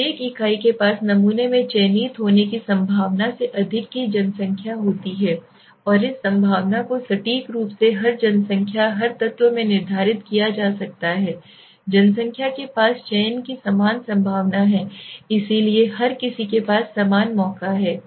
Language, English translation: Hindi, Every unit have the population of the chance greater than zero are being selected in the sample and this probability can be accurately determined every population every element in the population does have the same probability of selection right so everybody has equal chance